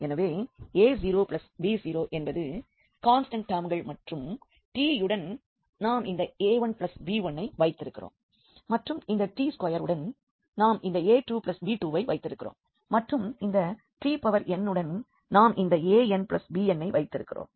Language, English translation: Tamil, So, a 0 plus b 0 these were the constant terms and with the t we have this a 1 plus this b 1 with this t square we will have this a 2 plus b 2 and with this t n we will have a n plus b n